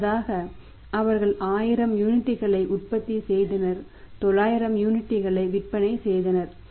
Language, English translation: Tamil, Earlier for example they were manufacture 1000 units selling 900 units